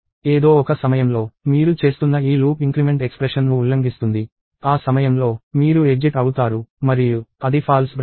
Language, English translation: Telugu, At some point, this loop increment that you are doing will violate the expression; at that point, you exit; and that is the false branch